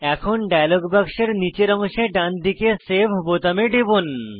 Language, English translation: Bengali, Now, click on the Save button at the bottom right of the dialog box